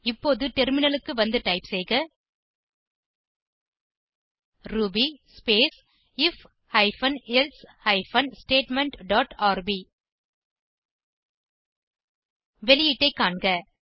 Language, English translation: Tamil, Now, let us switch to the terminal and type ruby space if hyphen elsif hyphen statement dot rb and see the output